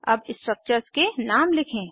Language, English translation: Hindi, Let us write the names of the structures